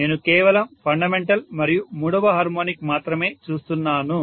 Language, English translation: Telugu, I am looking at only the fundamental and third harmonic